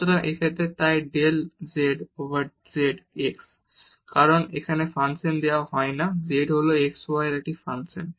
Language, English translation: Bengali, So, in this case so, del z over del x because this is not given function here z is a just function of x y